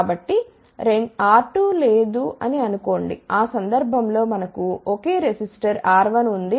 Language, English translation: Telugu, So, think that R 2 is not there in that case suppose if we have a single resistor R 1